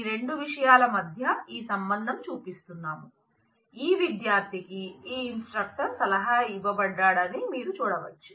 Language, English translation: Telugu, So, what we are showing is this connection between these 2, show that this student is advised by this instructor where as you can see